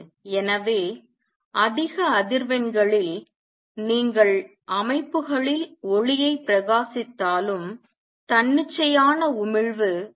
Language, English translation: Tamil, So, at high frequencies even if you are to shine light on systems the spontaneous emission will tend to dominate